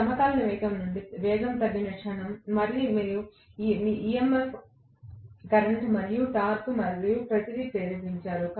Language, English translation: Telugu, The moment the speed comes down from the synchronous speed, again you have induced EMF current and torque and everything